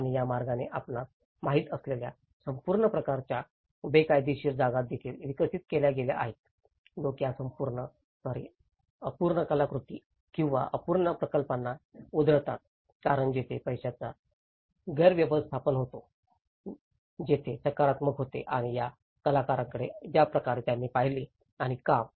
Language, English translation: Marathi, And that way, it has also developed some kind of illegal spaces you know, that people just leftover these unfinished artworks or unfinished projects like that because of there was a funding mismanagement, there is the institutional, the way they looked at the these artists and the work